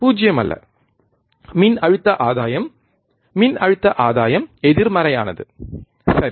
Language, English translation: Tamil, Not 0, voltage gain voltage gain is negative, right